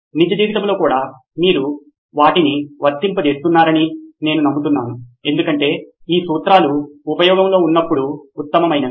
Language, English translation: Telugu, I hope you have been applying them on real life as well because these principles are best when put in action